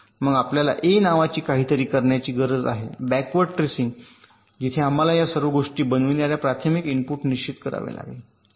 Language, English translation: Marathi, then we need to do something called a backward tracing, where we have to determine the primary inputs which makes all this things possible